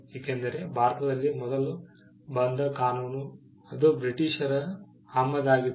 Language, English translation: Kannada, Because the first act that came around in India was an act that was of a British import